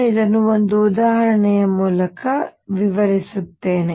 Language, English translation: Kannada, I will illustrate this through an example